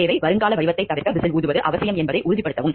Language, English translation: Tamil, Need: make sure whistle blowing is required to avoid the prospective form